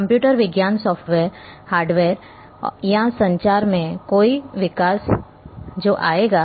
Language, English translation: Hindi, Any development in computer science software, hardware or in communication that to will come